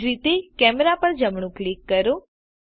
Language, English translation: Gujarati, Similary, Right click the Camera